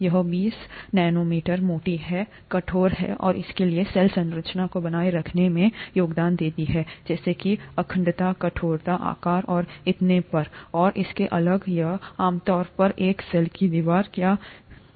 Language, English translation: Hindi, This twenty nanometers thick, is rigid and therefore contributes to maintain the cell structure such as integrity, rigidity, shape and so on and so forth, that is typically what a cell wall does